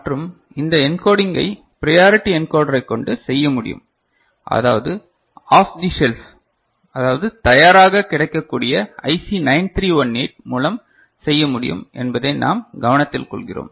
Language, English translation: Tamil, And also we take note of that this encoding can be achieved by using priority encoder which is available off the shelf as IC 9318 ok